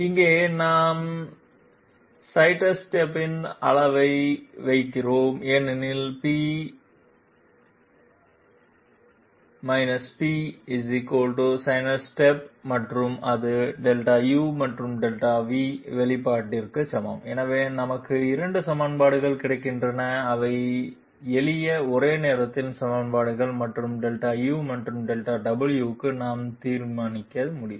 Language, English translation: Tamil, Here we put the magnitude of the sidestep because P star P = sidestep and that is equated to Delta u and Delta v expression, so we get two equations and these are simple simultaneous equations and we can solve for Delta you and Delta w